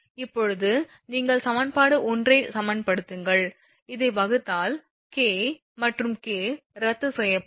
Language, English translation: Tamil, Now, divide you equation 1 this equation and this you can divide K and K will be cancelled